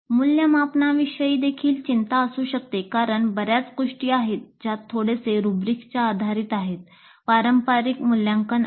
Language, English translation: Marathi, Concerns regarding evaluation also may be there because there are lots of things which are little bit rubrics based subjective evaluations